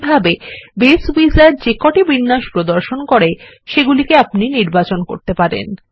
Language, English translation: Bengali, In this way, we can choose any of the layouts that Base Wizard provides